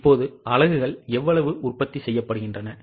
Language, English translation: Tamil, Now how much are the units to be produced